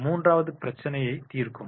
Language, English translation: Tamil, And the third is the problem solving